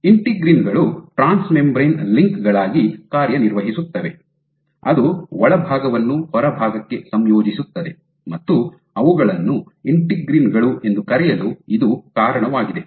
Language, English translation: Kannada, So, integrins serve as trans membrane links which integrate the inside to the outside, and that is the reason why they are called integrins